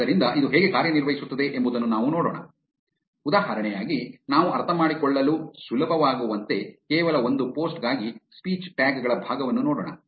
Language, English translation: Kannada, So, let us see how this works, as an example we will look at the part of speech tags for only one post to make it easier for us to understand